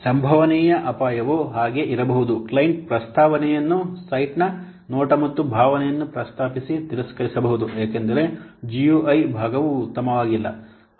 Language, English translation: Kannada, The possible risks could be like the client rejects the proposed look and proposed look and fill up the site because the UI part is not very good